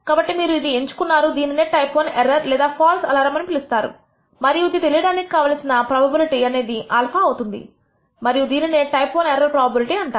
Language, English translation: Telugu, So, you have selected, we call this a type I error or false alarm and the probability of that is known as alpha and we call it a type I error probability